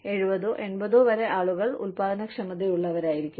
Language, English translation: Malayalam, People are, can be productive, till 70 or 80's